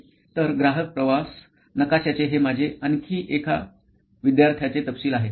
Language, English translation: Marathi, So, this is another example of customer journey map that one of my students had detailed out